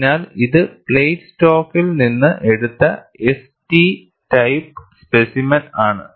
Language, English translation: Malayalam, So, this is the S T type of specimen taken out from the plate stock